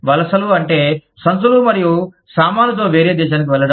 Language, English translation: Telugu, Immigration is movement, with bag and baggage, to a different country